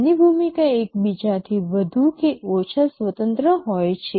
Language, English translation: Gujarati, Their role is more or less independent of each other